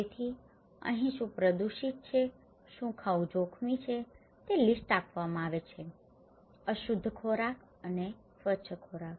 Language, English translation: Gujarati, So, here what is polluted, what is dangerous to eat are given the list; unclean food and clean food, okay